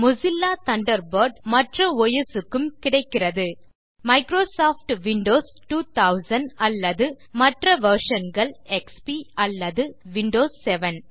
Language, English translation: Tamil, Mozilla Thunderbird is also available for Microsoft Windows 2000 or later versions such as MS Windows XP or MS Windows 7